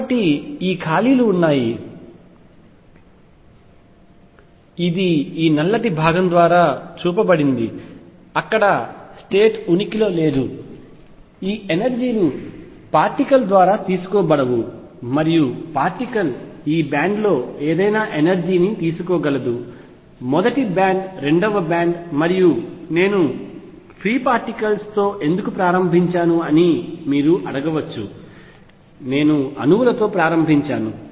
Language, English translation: Telugu, So, there are these gaps which open up which I have show by this black portion where no state exists, these energies cannot be taken up by the particle and the particle can take any energy in this band; first band second band and so on you may ask why did I start with free particles, I could have started with atoms